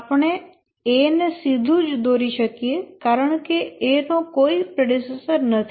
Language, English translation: Gujarati, Of course we can straight away draw A because A has no predecessor